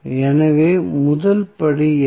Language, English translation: Tamil, So, what is the first step